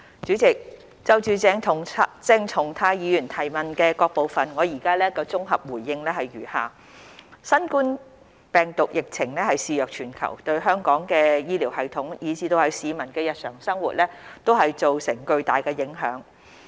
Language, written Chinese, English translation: Cantonese, 主席，就鄭松泰議員質詢的各部分，我現綜合回覆如下：新冠病毒疫情肆虐全球，對香港的醫療系統以至市民的日常生活造成巨大影響。, President my consolidated reply to various parts of the question raised by Dr CHENG Chung - tai is as follows The COVID - 19 pandemic has ravaged the world and has a huge impact on the healthcare system as well as peoples daily lives in Hong Kong